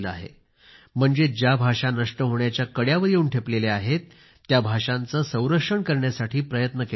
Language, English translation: Marathi, That means, efforts are being made to conserve those languages which are on the verge of extinction